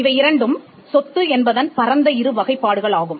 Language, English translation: Tamil, These are two broad classifications of property